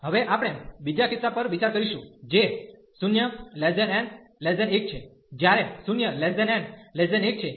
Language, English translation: Gujarati, Now, we will consider the second case, which is 0 to 1, when n is lying between 0 and 1